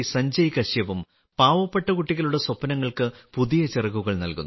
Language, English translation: Malayalam, Friends, Sanjay Kashyap ji of Jharkhand is also giving new wings to the dreams of poor children